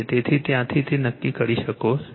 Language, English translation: Gujarati, So, from there you can determine right